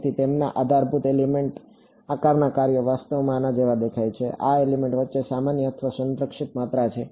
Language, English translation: Gujarati, So, their basis elements shape functions look like this actually, these are the common or conserved quantities between elements